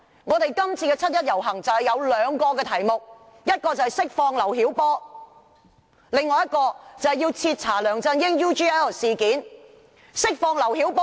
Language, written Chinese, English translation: Cantonese, 今年七一遊行有兩大訴求，第一是釋放劉曉波，第二是徹查梁振英 UGL 事件。, The 1 July march this year has two major aspirations namely the release of LIU Xiaobo and the thorough investigation into LEUNG Chun - yings UGL incident